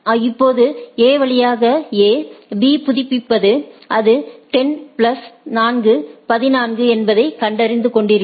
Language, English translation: Tamil, Now, subsequently A B updates through A and find that it is 10 plus 4, 14 and goes on